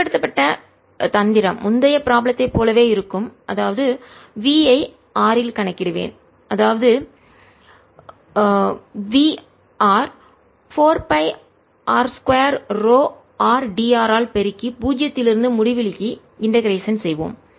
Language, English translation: Tamil, the trick used will be same as in the earlier problem, that is, we'll calculate v at r, multiply this by four pi r square, rho r, d, r and integrate it from zero to infinity to calculate v